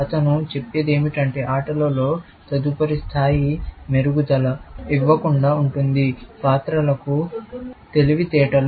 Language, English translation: Telugu, What he says is that the next level of improvement in games will be in giving a quote unquote; intelligence to the characters